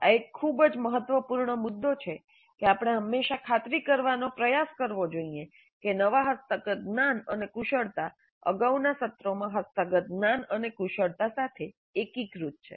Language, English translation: Gujarati, This is a very important point that we should always try to ensure that the newly acquired knowledge and skills are integrated with the knowledge and skills acquired in earlier sessions